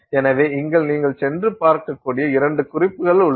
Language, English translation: Tamil, So here are a couple couple of references which you can go and look up